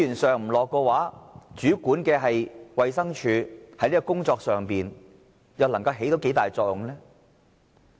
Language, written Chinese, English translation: Cantonese, 政府不投放資源，主管的衞生署在這個工作上，又能夠發揮多大作用呢？, If the Government does not inject resources how could the Department of Health which takes charge of this work serve its function?